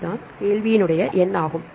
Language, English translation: Tamil, This is question number one